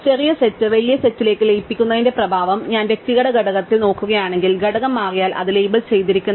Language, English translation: Malayalam, So, the effect of merging the smaller set into the bigger set is that if I look at an individual element, the component if it changes, its labeled, right